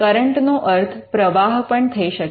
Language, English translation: Gujarati, Current can also mean flow of water